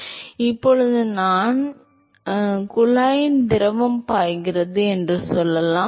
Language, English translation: Tamil, So, now, suppose if we; let us say the fluid flows in to the tube